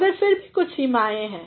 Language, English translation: Hindi, But, still are there are certain limitations